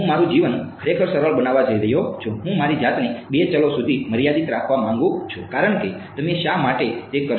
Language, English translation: Gujarati, I am going to make my life really simple I want to restrict myself to two variables because why would you do that